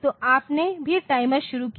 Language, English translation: Hindi, So, you also started timer